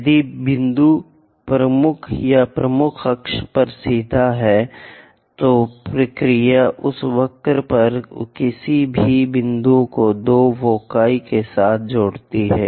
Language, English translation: Hindi, If the point is straight away at major or major axis, the procedure the general procedure connect any point on that curve with two foci